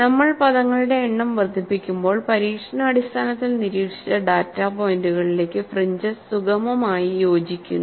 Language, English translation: Malayalam, You could see, as we increase the number of terms, the fringes smoothly fit into the experimentally observed data points